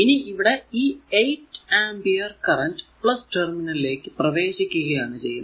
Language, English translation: Malayalam, So, if you look into that 8 ampere current is entering the plus terminal of p 2